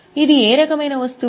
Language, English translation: Telugu, So, it is what type of item